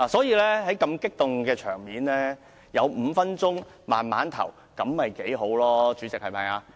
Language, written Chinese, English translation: Cantonese, 如此激動的場面，有5分鐘時間慢慢投票會較好，不是嗎？, In such an emotional situation would it be better to have five minutes to think more carefully before we vote?